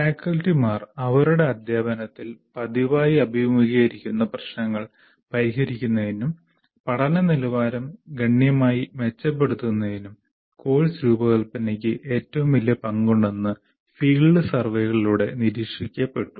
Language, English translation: Malayalam, And it has been observed through field surveys that course design has the greatest potential for solving the problems that faculty frequently face in their teaching and improve the quality of learning significantly